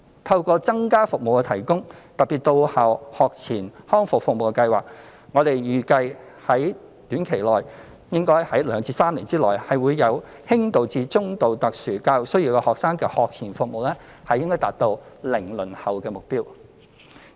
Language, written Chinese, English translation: Cantonese, 透過增加提供服務，特別是到校學前康復服務，我們預計應可於短期的2至3年內，為有輕度至中度特殊教育需要學生的學前服務達至"零輪候"的目標。, With the provision of more services especially on - site pre - school rehabilitation services it is expected that we will be able to achieve the objective of zero - waiting time for pre - school rehabilitation services for students with mild and moderate grade SENs within a short period of time ie . two to three years